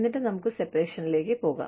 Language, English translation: Malayalam, And then, we move on to separation